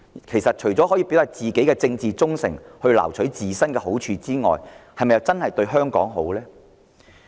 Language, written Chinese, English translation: Cantonese, 其實，他們這樣做，除了表達自身的政治忠誠及撈取好處外，是否真的對香港有好處？, But apart from expressing their political loyalty and reaping benefits is such an attitude really beneficial to Hong Kong?